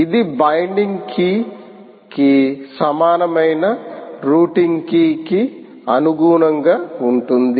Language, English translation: Telugu, so the binding key and the routing key have to match